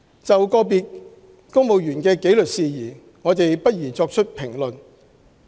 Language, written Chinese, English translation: Cantonese, 就個別公務員的紀律事宜，我們不宜作出評論。, We will not comment on the disciplinary matters of individual civil servants